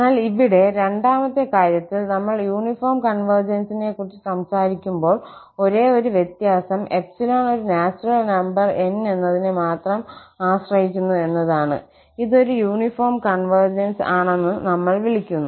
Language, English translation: Malayalam, But here, in the second case, when we are talking about the uniform convergence, the only difference is that if there exists a natural number N which depends only on epsilon and not on x, then we call that this is a uniform convergence